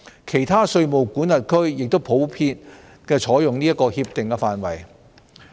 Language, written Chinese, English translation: Cantonese, 其他稅務管轄區亦普遍採用這些協定範本。, These Model Tax Conventions are also widely used in other tax jurisdictions